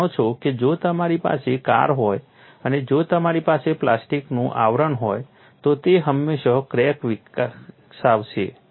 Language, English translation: Gujarati, That is very obvious, you know if you have a car and if you have a plastic cover to that, it will invariably develop a crack